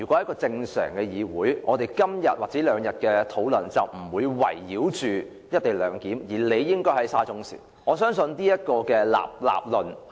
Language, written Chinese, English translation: Cantonese, 在正常的議會狀況下，我們這兩天的討論不會圍繞"一地兩檢"，而理應討論"沙中線涉嫌造假"事件。, Under normal circumstances the Council would not have been focusing our discussion on the co - location arrangement in these two days . Instead we should have discussed the alleged falsification of SCL reports